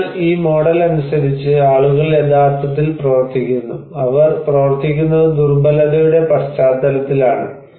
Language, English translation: Malayalam, So, according to this model, people are actually operating, you know they are working in a context of vulnerability